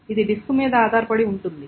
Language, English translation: Telugu, This depends on the disk that is there